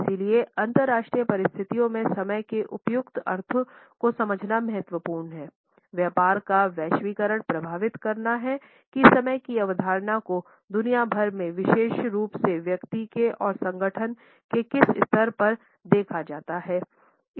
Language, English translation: Hindi, Understanding appropriate connotations of time is therefore important in international situations globalization of business is influencing how the concept of time is viewed around the world particularly at the level of the individual, at the level of the organization